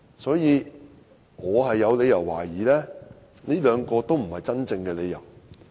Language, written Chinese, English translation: Cantonese, 所以，我有理由懷疑這兩個都不是真正的理由。, As such I have reason to doubt that both reasons are not the real reasons